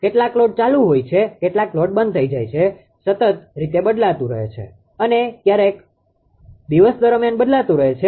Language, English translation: Gujarati, Some loads are switched on, some loads are switched off it is continuously changing right, throughout that day sometimes